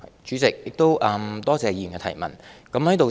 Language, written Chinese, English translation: Cantonese, 主席，多謝議員提出的補充質詢。, President I thank the Honourable Member for the supplementary question